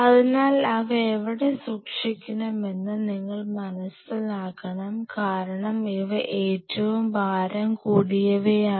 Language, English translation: Malayalam, So, you have to understand where you want to keep them because these are heaviest stuff